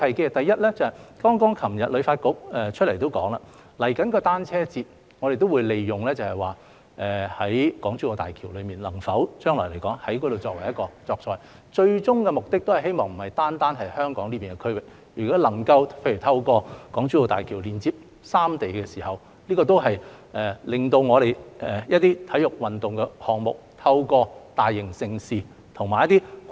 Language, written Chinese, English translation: Cantonese, 旅發局昨天剛剛表示，關於即將舉行的香港單車節，我們也會利用港珠澳大橋，看看將來能否在那裏作賽，最終目的不只是在香港這個區域舉行，如果能夠透過港珠澳大橋連接三地，也可令我們一些體育運動項目，透過大型盛事和一些跨境......, As HKTB said yesterday we will make use of the Hong Kong - Zhuhai - Macao Bridge for the upcoming Hong Kong Cyclothon to see if the race can be held there in the future and the ultimate goal is not to hold the race in Hong Kong only . If the three places can be linked up through the Hong Kong - Zhuhai - Macao Bridge some of our sports events can be implemented in collaboration with the cities in GBA in the form of large - scale major events cross - border events etc